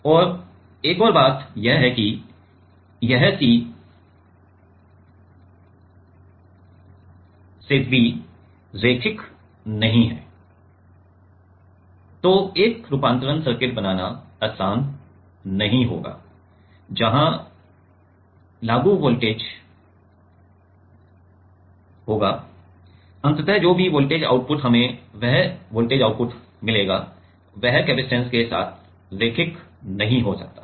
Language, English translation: Hindi, And another thing is that this C to V is not linear, it is not easy to make a conversion circuit which will where the applied voltage so, ultimately whatever voltage output we will get that voltage output, may not be linear with the capacitance